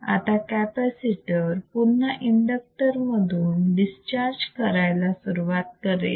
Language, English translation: Marathi, Now capacitor again starts discharging through the inductor see